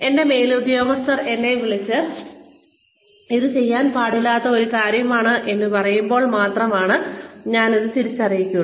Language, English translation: Malayalam, Only, when my superior calls me, and tells me that, this is something, you should not be doing